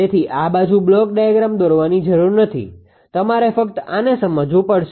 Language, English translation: Gujarati, So, no need to draw this side block diagram you have to understood this only this much only this one